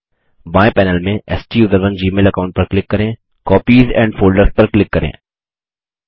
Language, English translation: Hindi, From the left panel, click on the STUSERONE gmail account and click Copies and Folders